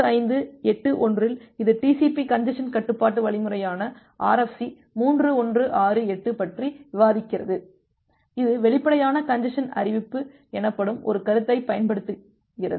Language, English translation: Tamil, In RFC 2581 it discusses about the TCP congestion control algorithm, RFC 3168, it uses one concept called explicit congestion notification